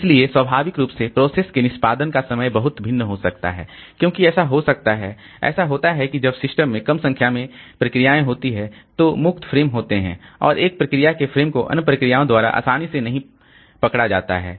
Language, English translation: Hindi, So, naturally the process execution time can vary say greatly because it may so happen that when there are less number of processes in the system then the free frames are there and a processes pages are not grabbed easily by other processes